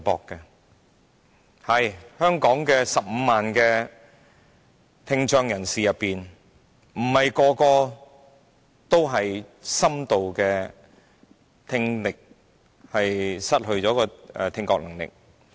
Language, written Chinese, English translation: Cantonese, 的確，在香港15萬聽障人士中，並非每一位都是深度聽障的。, Yes among the 150 000 people with hearing impairment in Hong Kong not every one of them has profound hearing impairment